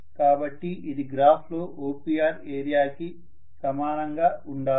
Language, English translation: Telugu, So this should be actually equal to area OPR in the graph